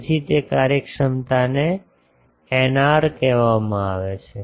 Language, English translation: Gujarati, So, that efficiency is called eta r